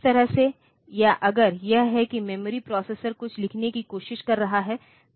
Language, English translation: Hindi, So, that way this or if it is that the memory the processor is trying to write something